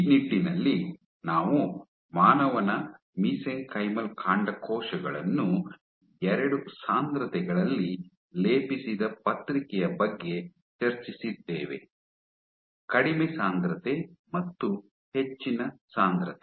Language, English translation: Kannada, In this regard we discussed a paper where human Mesenchymal Stem Cells were plated at 2 densities; you have low density and high density